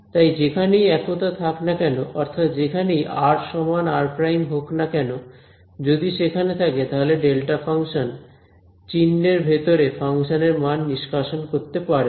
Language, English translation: Bengali, So, wherever the singularities that is wherever r is equal to r prime if it is there then this delta function will extract the value of the function inside the sign right